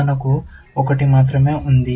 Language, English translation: Telugu, We have only one